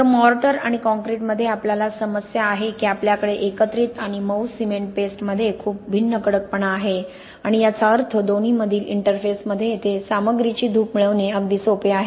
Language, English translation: Marathi, So, the problem we have in mortars and concrete is that we have a very different hardness between the aggregates and the softer cement paste and this means it is quite easy to get to the erosion of material here at the interface between the two